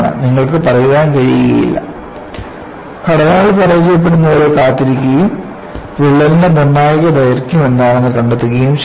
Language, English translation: Malayalam, " you cannot say, I will wait for the structures to fail and find out what is the critical length of the crack